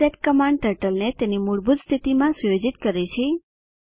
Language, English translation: Gujarati, reset command sets the Turtle to default position